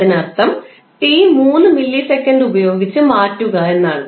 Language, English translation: Malayalam, It means you have to simply replace t with the value of 3 milliseconds